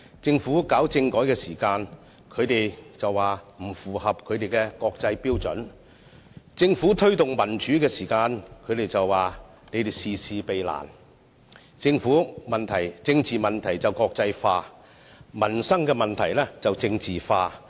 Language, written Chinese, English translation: Cantonese, 政府推行政改時，他們便說方案不符合國際標準；政府推動民主時，他們便說政府事事避難；他們把政治問題國際化，把民生問題政治化。, When the Government put forward a constitutional reform proposal they criticized the proposal as falling short of the requirements under the international standard; and when the Government tried to promote democracy they accused the Government of avoiding difficult tasks